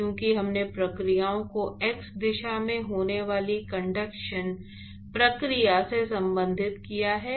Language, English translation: Hindi, Because we have related the processes the conduction process which is occurring in x direction